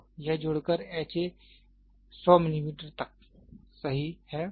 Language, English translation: Hindi, So, then it sums up to ha 100 millimeter, right